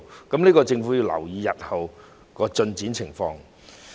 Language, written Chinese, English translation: Cantonese, 所以，政府要留意日後的進展情況。, Hence the Government has to pay attention to the progress or situation in future